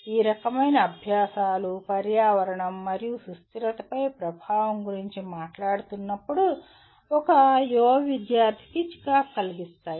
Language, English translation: Telugu, This can be, that kind of exercises can be irritating to an young student when they are talking about the impact on environment and sustainability